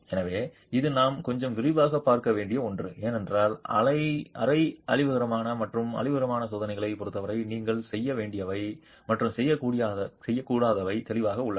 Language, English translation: Tamil, So this is something that we need to look at a little bit in detail because there are some do's and don'ts clearly as far as semi destructive and destructive tests are concerned